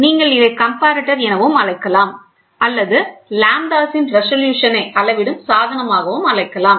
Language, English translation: Tamil, You can call it as a comparator or you can also call it as a measuring device at the resolutions of lambdas